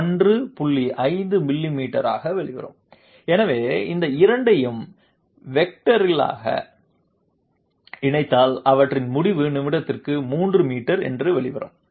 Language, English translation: Tamil, 5 millimeters per minute and therefore, if we combine this these 2 vectorially, their result will come out to be 3 meters per minute